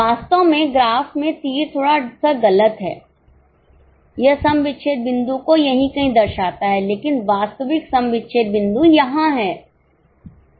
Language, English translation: Hindi, Actually in the graph slightly that arrow is wrong it shows it somewhere here but actual break even point is this